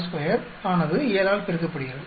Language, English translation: Tamil, 6 square multiplied by 7